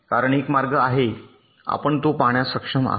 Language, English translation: Marathi, because there is a path, you are able to see it